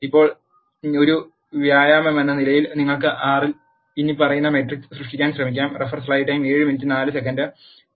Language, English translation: Malayalam, Now, as an exercise you can try creating the following matrices in R